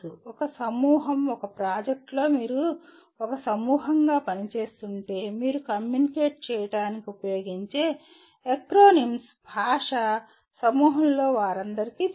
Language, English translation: Telugu, A group of, in a project if you are working as a group, then the language the acronyms that you use for communicating they are known to all the persons in the group